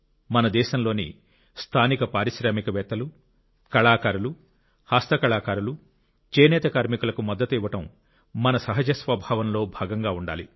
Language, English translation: Telugu, Supporting local entrepreneurs, artists, craftsmen, weavers should come naturally to us